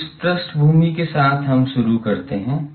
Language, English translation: Hindi, So, with this background let us start